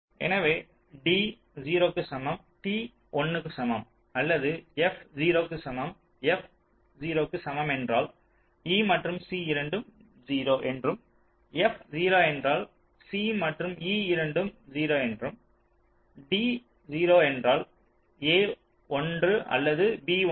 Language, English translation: Tamil, if f equal to zero means both e and c are zero, f zero means both c and e are zero and d zero means anyone of them can be one